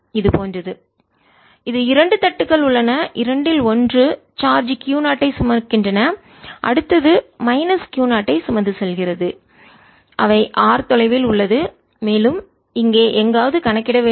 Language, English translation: Tamil, there are two plates, both of one is carrying charge q zero, the next one is carrying some minus q zero and they are at distance r apart, and we are suppose to calculate somewhere here its point p, and we are suppose to calculate